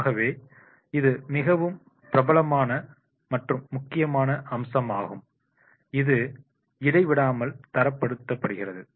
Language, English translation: Tamil, So, this is the very, very famous and important aspect that is relentlessly standardized